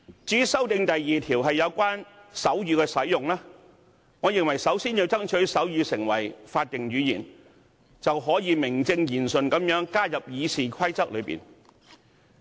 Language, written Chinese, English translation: Cantonese, 至於第2條的修訂則有關手語的使用，我認為首先要爭取將手語訂為法定語言，那便可以名正言順地將之納入《議事規則》。, As for the amendments proposed to RoP 2 on the use of sign language I think we should first endeavour to make sign language an official language so that it can be justifiably included in the Rules of Procedure